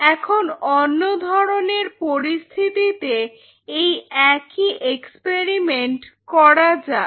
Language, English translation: Bengali, So, you do the same experiment with another situation